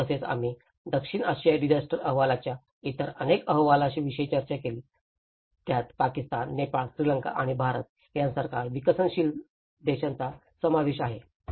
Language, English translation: Marathi, Also, we did discussed about various other reports of South Asian disaster report, where it has covered in kind of developing countries like Pakistan, Nepal, Sri Lanka and India